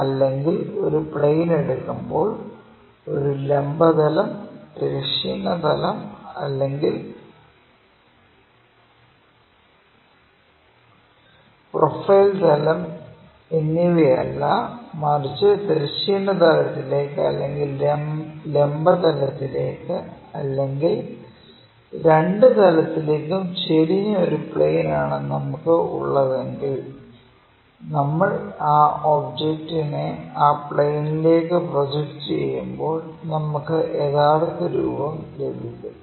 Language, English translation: Malayalam, So, when we are picking a plane not of a vertical plane, horizontal plane not profile plane, but a plane which is either inclined to horizontal plane or vertical plane or both; when we are projecting that object onto that plane we may get true shape